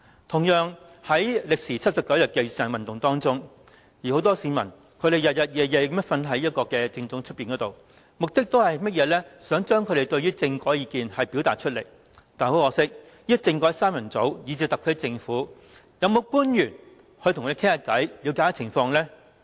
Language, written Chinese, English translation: Cantonese, 同樣，在歷時79天的雨傘運動中，很多市民日以繼夜睡在政總外，目的是要表達他們對政改的意見，但很可惜，"政改三人組"以至特區政府的其他官員，有沒有跟他們談話，以了解情況？, In a similar vein during the 79 - day Umbrella Movement many members of the public slept outside the Central Government Offices days on end with the aim of expressing their views on the constitutional reform . Unfortunately did the constitutional reform trio or even other officials of the SAR Government talk to them to gain an understanding of their situation?